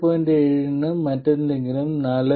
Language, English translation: Malayalam, 7, something else for 4